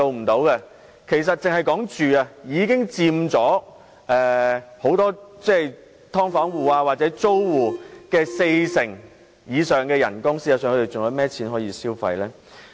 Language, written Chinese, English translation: Cantonese, 單單在住屋方面，已佔去很多"劏房戶"或租戶的工資四成以上，他們還有甚麼餘錢可消費？, For many occupants of subdivided units as well as many other rent - payers expenditure on housing alone takes up more than 40 % of their wages . How much money is left for them to spend?